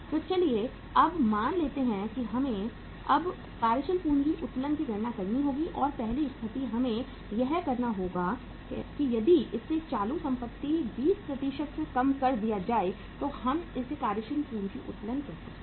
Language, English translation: Hindi, So let us now assume that uh we will have to now compute the working capital leverage and first situation we have to say we call it as compute working capital leverage if current assets are reduced by 20%